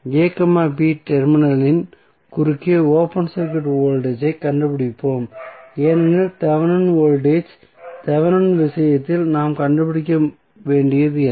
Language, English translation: Tamil, We find out the open circuit voltage across the terminal a, b because in case of Thevenin voltage Thevenin what we have to find out